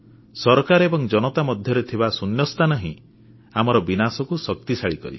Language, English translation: Odia, The chasm between the governments and the people leads to ruin